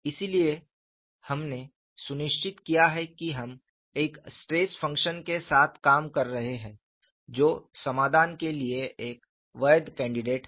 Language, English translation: Hindi, So, we have made sure that we are working with the stress function, which is a valid candidate for solution